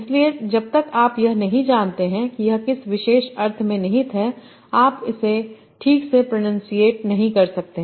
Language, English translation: Hindi, So unless you know what is the particular sense is being implied, you cannot pronounce it properly